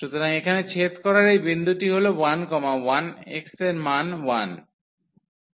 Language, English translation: Bengali, So, this point of intersection here is 1 1 the value of x is 1